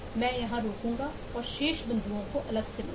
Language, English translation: Hindi, Ill stop here and take the remaining points separately